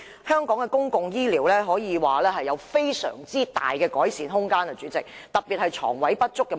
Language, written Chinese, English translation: Cantonese, 香港的公共醫療可說尚有極大的改善空間，特別是床位不足的問題。, It can be said that there is tremendous room for improvement regarding the public health care services of Hong Kong particularly the problem concerning shortage of hospital beds